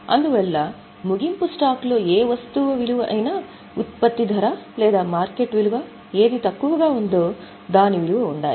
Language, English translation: Telugu, That is why any item of closing stock should be valued at cost or market value whichever is less